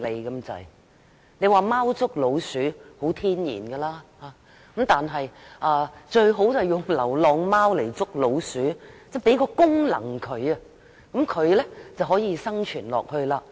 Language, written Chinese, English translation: Cantonese, 有人認為貓天性捉老鼠，因而倡議用流浪貓來捉老鼠，流浪貓有這個功能便可以生存下去。, As some people opine that cats naturally prey on rats they propose to use stray cats to prey on rats . Only those stray cats that perform such a function can survive